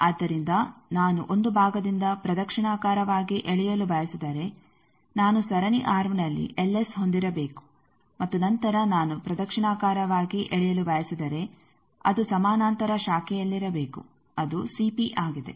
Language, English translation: Kannada, So, if I want a by a single part I want a clock wise pulling I should have a l S in the series arm and then if I want a clockwise pulling that should be in a parallel branch it is a CP